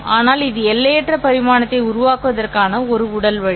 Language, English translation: Tamil, But this is a physical way of generating an infinite dimensional one